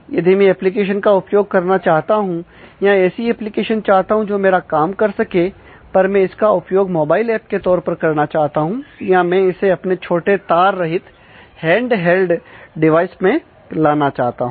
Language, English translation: Hindi, If I want to use the application or want to have an application which does my task, but I want to do it as a mobile app, I want to do it for a small wireless handled device